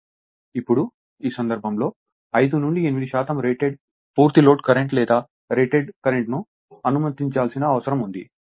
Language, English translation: Telugu, Now, in this case 5 to 8 percent of the rated is required to allow that your full load current or your rated current